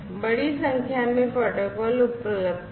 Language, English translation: Hindi, So, large number of protocols are over there